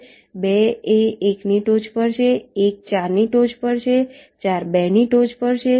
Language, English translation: Gujarati, ok, two is in top of one, one is in top of four, four is in top of two